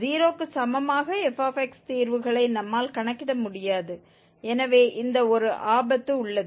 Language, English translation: Tamil, We cannot compute the root of the f x equal to 0 so this is one pitfall